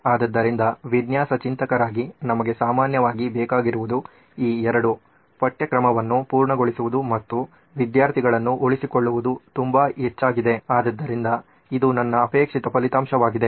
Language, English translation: Kannada, So as design thinkers what we generally need are these two which is the covered syllabus and student retention to be very high, so this is my desired result